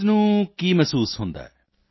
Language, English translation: Punjabi, What feeling does the patient get